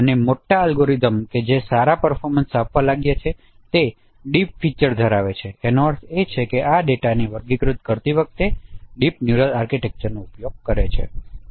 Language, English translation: Gujarati, And major algorithms which have been found to provide good performances, they are deep features based which means they have used deep neural architecture while classifying this data